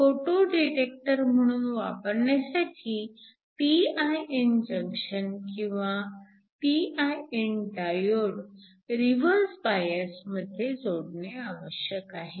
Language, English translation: Marathi, So, for use as a photo detector, the p i n junction or the p i n diode must be connected in reverse bias